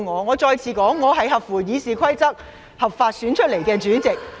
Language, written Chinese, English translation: Cantonese, 我再次重申，我是根據《議事規則》合法選出的內務委員會主席。, I repeat once again I am legally elected as the House Committee Chairman in accordance with RoP